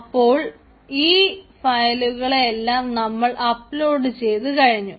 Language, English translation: Malayalam, so all the files have been uploaded